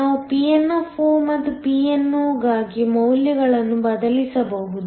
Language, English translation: Kannada, We can substitute the values for Pn and Pno